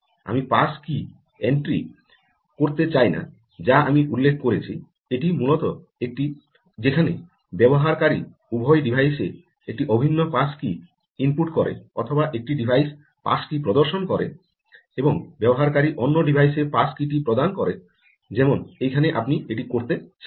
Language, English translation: Bengali, pass key entry, which i mentioned, is essentially this: where ah, user either inputs an identical pass key into both devices or one device displays the pass key and the user enters the pass key into the other devices, like what is here